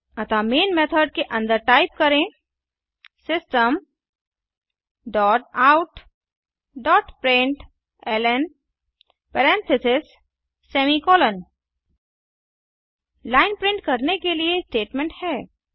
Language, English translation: Hindi, So inside main method typeSystem dot out dot println parentheses semi colon This is the statement used to print a line